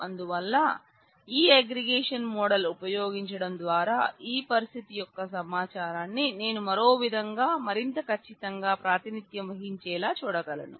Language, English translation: Telugu, So, by using this aggregation model; I can represent the information of this situation model this situation more accurately than I could do otherwise